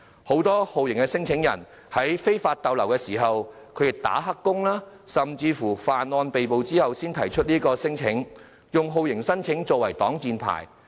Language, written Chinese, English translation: Cantonese, 很多酷刑聲請人是在非法逗留、"打黑工"或犯案被捕後才提出聲請，以酷刑聲請作擋箭牌。, Many torture claimants only filed their claims after they were arrested for overstaying illegally doing illegal work or committing crime and torture claims have become a shield for them